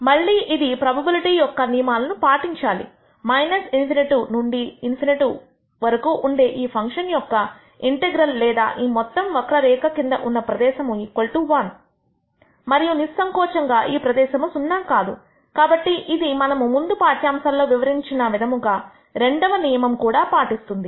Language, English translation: Telugu, Again, since this has to obey the laws of probability the integral from minus infinity to infinity of this function or the area under the entire curve should be equal to 1 and obviously, the area is non zero therefore it obeys the second law also we actually described in the last lecture